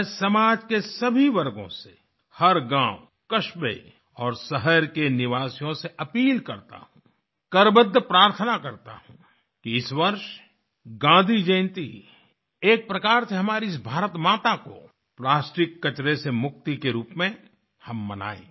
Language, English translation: Hindi, I appeal to all strata of society, residents of every village, town & city, take it as a prayer with folded hands; let us celebrate Gandhi Jayanti this year as a mark of our plastic free Mother India